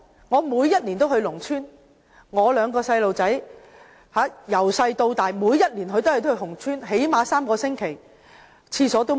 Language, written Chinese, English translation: Cantonese, 我每年都會到農村，我兩名孩子從小到大每年都會到農村最少3個星期，那裏連廁所也沒有。, Every year I visit the rural areas where my two kids will spend at least three weeks each year since they were born . There is not even a toilet in the villages